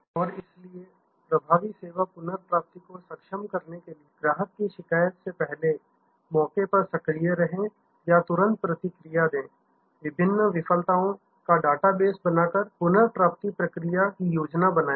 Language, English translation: Hindi, And so to enable effective service recovery, be proactive on the spot before the customer complain or immediately respond have number of recovery procedure yours plan by creating a data base of different failures